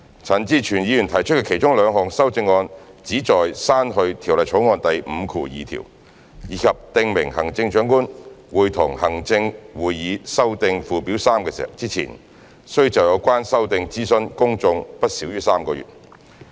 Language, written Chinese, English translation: Cantonese, 陳志全議員提出的其中兩項修正案旨在刪去《條例草案》第52條，以及訂明行政長官會同行政會議修訂附表3之前，須就有關修訂諮詢公眾不少於3個月。, Two of the amendments proposed by Mr CHAN Chi - chuen seek to delete clause 52 and to stipulate that the Chief Executive in Council must consult the public for not less than three months about the proposed amendment to Schedule 3 before amending Schedule 3